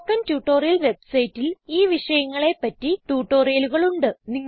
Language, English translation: Malayalam, The Spoken Tutorial website has spoken tutorials on these topics